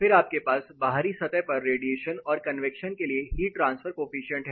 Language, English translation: Hindi, Then you have heat transfer coefficient for radiation and convection on the outside surface